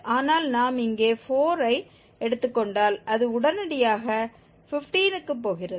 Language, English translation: Tamil, But if we take 4 here it is straightaway going to 15